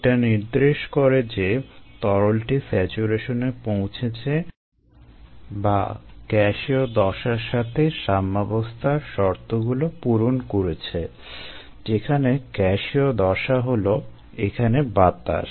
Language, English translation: Bengali, so this indicates that the liquid has reached saturation or equilibrium condition with the gas phase which is air here